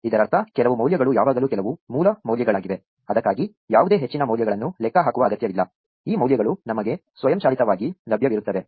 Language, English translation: Kannada, That means, there are always some values some base values for which no further values need to be computed; these values are automatically available to us